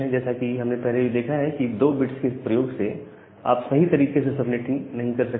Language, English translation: Hindi, And as we have looked earlier that using 2 bits, you cannot do the subnetting properly